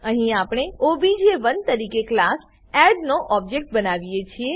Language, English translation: Gujarati, Here we create an object of class add as obj1